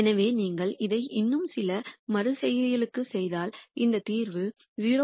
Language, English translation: Tamil, So, if you do this for a few more iterations you will get to the optimum point which is this solution 0